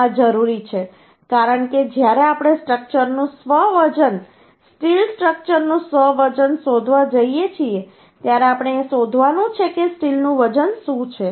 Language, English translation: Gujarati, This is required because when we are going find out the self weight of the structure uhh self weight of the steel structure then we have to find out what is the weight of the steel Uhh